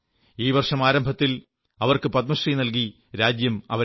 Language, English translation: Malayalam, In the beginning of this year, she was honoured with a Padma Shri